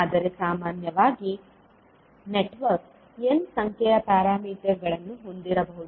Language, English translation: Kannada, But in general, the network can have n number of ports